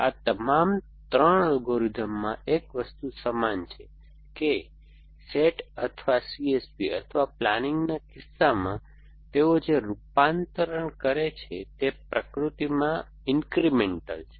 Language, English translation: Gujarati, All these 3 algorithms have one thing in common is that the conversion that they do in the case of either S A T or C S P or planning is incremental in nature